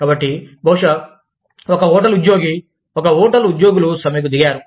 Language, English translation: Telugu, So, maybe, one hotel employee, the employees of one hotel, have gone on strike